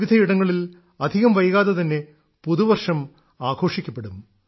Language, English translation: Malayalam, New year will also be celebrated in different regions of the country soon